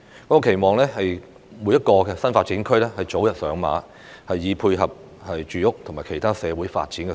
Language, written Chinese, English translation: Cantonese, 我期望各個新發展區早日上馬，以配合住屋及其他社會發展的需要。, I hope that the development of the various NDAs will be kick - started as early as possible to meet the needs for housing and other social development